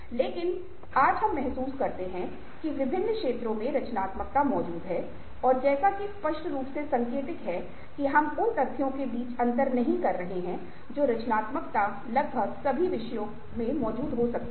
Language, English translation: Hindi, but today we realise that ah in different fields, creativity ah exists and, as the definition clearly indicated, we are not differentiating between the fact that is, creativity can exist in almost all disciplines